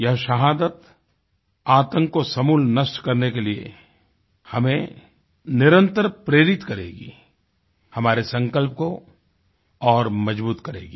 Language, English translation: Hindi, This martyrdom will keep inspiring us relentlessly to uproot the very base of terrorism; it will fortify our resolve